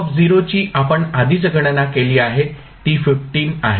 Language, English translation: Marathi, V0 we have calculated already that is 15